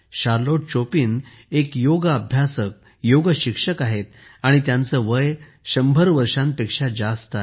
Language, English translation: Marathi, Charlotte Chopin is a Yoga Practitioner, Yoga Teacher, and she is more than a 100 years old